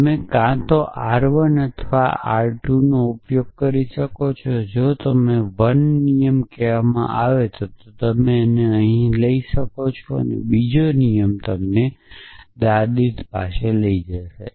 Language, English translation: Gujarati, So, you could either use r 1 or 2 if you called 1 rule will take you here another rule will take you to grandmother